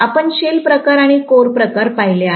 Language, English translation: Marathi, We looked at shell type and core type